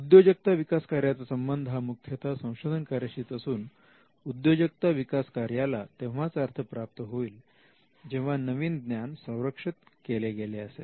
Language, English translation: Marathi, The entrepreneurial function is linked to the primary function of research and the entrepreneurial function makes sense when the new knowledge can be protected